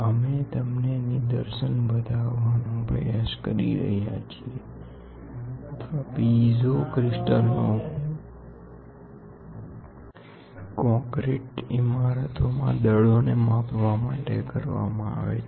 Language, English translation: Gujarati, We are trying to show you a demonstration or piezo crystal crystals are used for measuring the forces in high concrete buildings